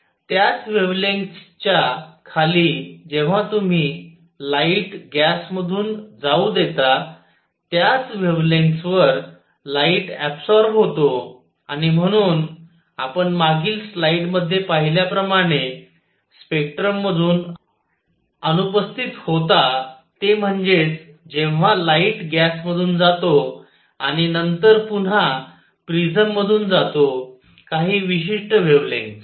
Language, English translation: Marathi, Under the same wavelengths, when you let up light pass through gas at the same wavelengths, the light is absorbed and therefore, that was missing from the spectrum as you saw in the previous slide that when the light was passed through gas and then again pass through prism certain wavelengths